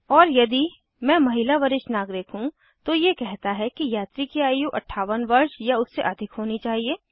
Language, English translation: Hindi, And if i am female senior citizen, then it says that passengers age should be 58 years or more